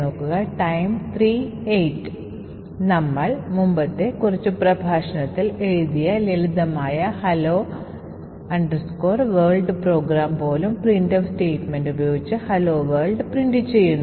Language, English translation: Malayalam, Even the simple hello world program that we have written a few lectures back which essentially just prints hello world by invoking the printf statement